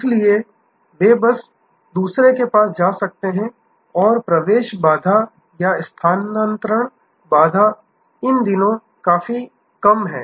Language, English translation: Hindi, So, they can just go to the other and the entry barrier or shifting barrier is quite low these days